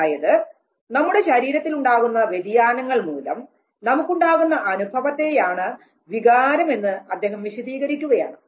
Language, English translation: Malayalam, So, he was trying to explain emotion as the feeling of the changes that takes place in the body